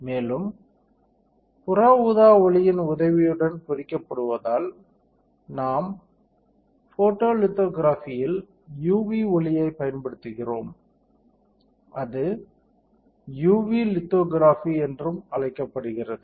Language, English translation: Tamil, And thus it says that etching with the help of UV light, because we are using UV light in the photolithography, it is also called UV lithography